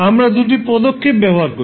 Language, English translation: Bengali, We use two steps